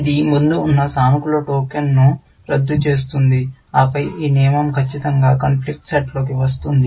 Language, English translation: Telugu, It will cancel the positive token, which was sitting earlier, and then, this rule will certainly, come into the conflict set